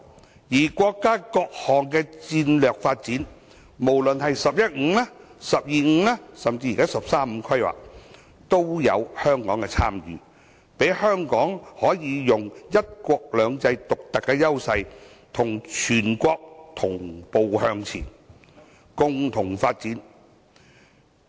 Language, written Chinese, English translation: Cantonese, 同時，國家的各項戰略發展，無論是"十一五"、"十二五"及"十三五"規劃均有香港的參與，讓香港可以發揮"一國兩制"的獨特優勢，與全國同步向前，共同發展。, Moreover Hong Kong has participated in the strategic developments of the country including the 11 Five - Year Plan the 12 Five - Year Plan and the 13 Five - Year Plan so that Hong Kong can give play to its unique advantage of one country two systems and move forward and develop in tandem with the whole country